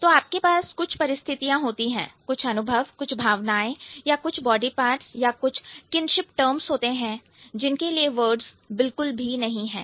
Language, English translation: Hindi, So, you might have certain situations, certain experiences, certain emotions or certain body parts, certain kinship terms, which do not have words at all